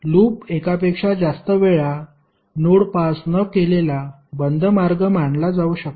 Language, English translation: Marathi, Loop can be considered as a close path with no node passed more than once